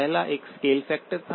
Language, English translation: Hindi, The first one was a scale factor